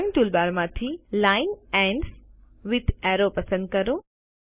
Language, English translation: Gujarati, From the Drawing toolbar, select Line Ends with Arrow